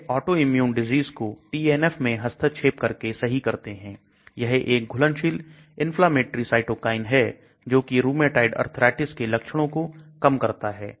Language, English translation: Hindi, It treats autoimmune diseases by interfering with TNF a soluble inflammatory cytokine to decrease the signs of rheumatoid arthritis